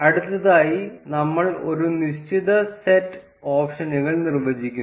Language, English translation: Malayalam, Next, we define a certain set of options